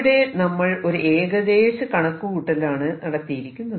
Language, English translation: Malayalam, But what I have done here is just made an estimate